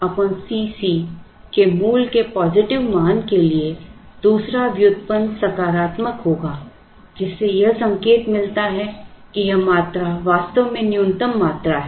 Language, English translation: Hindi, So, for a positive value of root over 2 D C naught by C c the second derivative will be positive indicating that this quantity is actually the minimum quantity